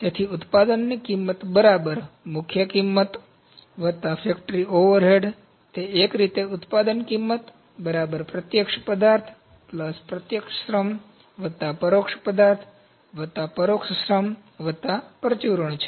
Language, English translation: Gujarati, So, the product cost is prime cost plus factory overhead that is in a way product cost is equal to direct material plus direct labour plus indirect material plus indirect labour plus miscellaneouse